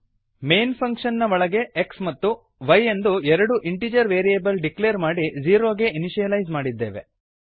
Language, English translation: Kannada, Inside the main function we have declared two integer variables x and y and initialized to 0